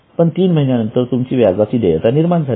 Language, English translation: Marathi, But at the end of three months, you have already created an obligation